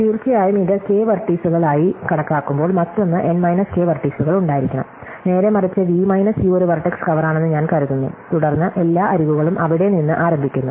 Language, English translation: Malayalam, And of course, given that this has K vertices, the other must have N minus K vertices, conversely supposing I assume that V minus U is a vertex cover, then every edge starts from there